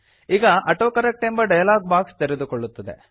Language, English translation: Kannada, The AutoCorrect dialog box will open